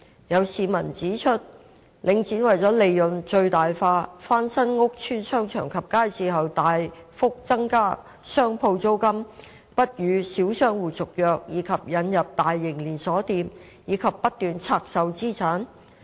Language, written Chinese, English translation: Cantonese, 有市民指出，領展為了利潤最大化，翻新屋邨商場及街市後大幅增加商鋪租金、不與小商戶續約以及引入大型連鎖店，以及不斷拆售資產。, Some members of the public have pointed out that to achieve profit maximization Link REIT has substantially raised the rents of shops after the refurbishment of the shopping centres and markets in PRH estates refused to renew tenancy agreements with small shop operators so as to introduce large chain stores as well as divested incessantly its assets